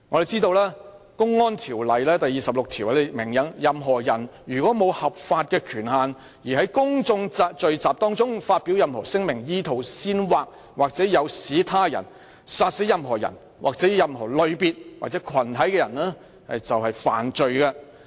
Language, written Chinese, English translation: Cantonese, 根據《公安條例》第26條，任何人如無合法權限而在公眾聚集中發表任何聲明，意圖煽惑或誘使他人殺死任何人或任何類別或群體的人，即屬犯罪。, Under section 26 of the Public Order Ordinance any person who makes any statement without lawful authority at any public gathering with the intention to incite or induce any person to kill any person or any class or community of persons shall be guilty of an offence